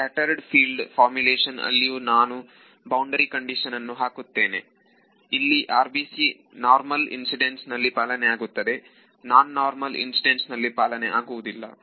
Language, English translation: Kannada, Even in the scattered field formulation I am imposing the boundary condition the RBC which is correctly true only for normal incidence not for non normal incidence right